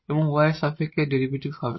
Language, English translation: Bengali, So, the function of y only